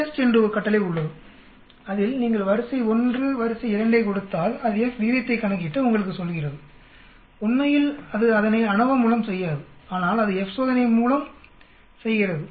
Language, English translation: Tamil, There is a command called FTEST where you give array 1, array 2 and it calculates the F ratio and then it tells you, actually it does not do it through ANOVA but it does it through F test